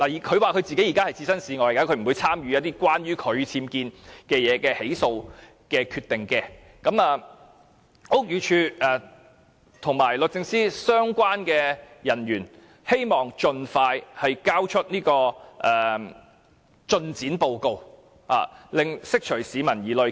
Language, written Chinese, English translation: Cantonese, 她現時說自己置身事外，不會參與關於她僭建的起訴決定，我便希望屋宇署及律政司的相關人員盡快提交進展報告，釋除市民疑慮。, At present she says she will stay out of the matter and will not participate in the decision on whether or not prosecution relating to her UBWs should proceed and I hope that the staff in the Buildings Department and the Department of Justice can submit a progress report as soon as possible so as to ease public concerns